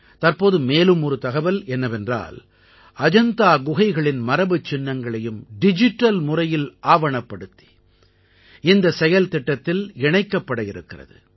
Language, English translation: Tamil, Just recently,we have received information that the heritage of Ajanta caves is also being digitized and preserved in this project